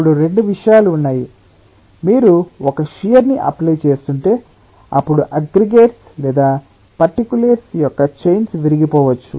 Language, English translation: Telugu, one is, if you are applying a shear, then the aggregates of the chains of particulates, they may be broken